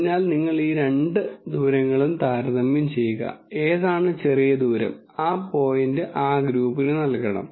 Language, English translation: Malayalam, So, you compare these two distances and whichever is a smaller distance you assign that point to that group